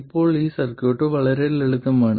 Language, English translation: Malayalam, Now this circuit is extremely simple